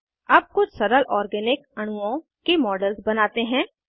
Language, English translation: Hindi, Lets now proceed to create models of some simple organic molecules